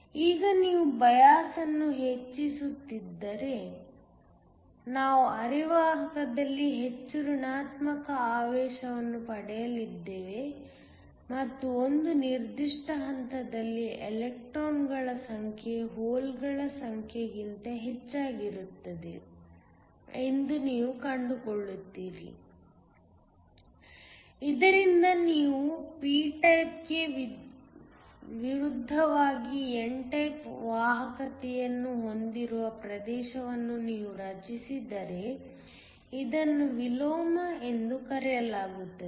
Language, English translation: Kannada, Now, if you keep increasing the bias, we are going to get more negative charge in the semiconductor and you are going to find that at one particular point, the number of electrons will be more than the number of holes, so that you create a region where you have n type conductivity as opposed to p type, this thing is called Inversion